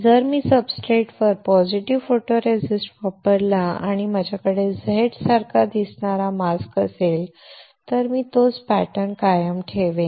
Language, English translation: Marathi, If I use positive photoresist on the substrate and if I have a mask which looks like Z, then I will retain the similar pattern itself